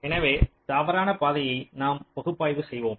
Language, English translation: Tamil, so let us look in to the false path analysis